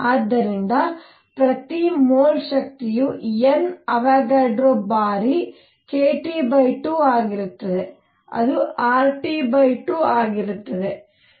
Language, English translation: Kannada, So, per mole energy is going to be N Avogadro times k T by 2 which is nothing but R T by 2